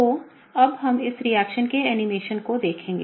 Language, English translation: Hindi, So, now we will look at the animation of this reaction